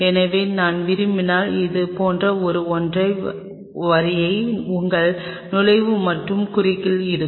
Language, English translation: Tamil, So, if I have to like put one single line like this is your entry and cross